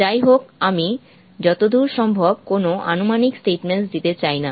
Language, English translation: Bengali, However, I don't want to make any approximate statements as far as possible